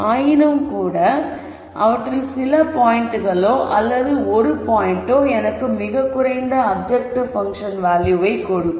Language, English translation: Tamil, Nonetheless, there are some points out of those or one point which would give me the lowest objective function value